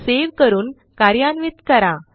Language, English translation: Marathi, Click on Save let us execute